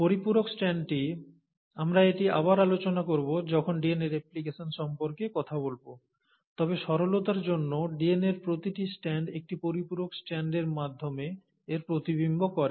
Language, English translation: Bengali, So the complimentary strand, we’ll cover this again when we talk about DNA replication, but for the simplicity sake, each strand of DNA mirrors it through a complimentary strand